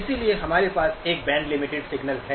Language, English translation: Hindi, So we have a notion of a band limited signal